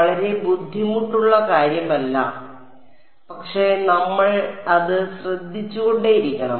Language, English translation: Malayalam, Not very hard, but we just have to keep taking care of it